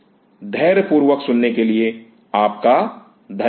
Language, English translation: Hindi, Thank you for a patience listening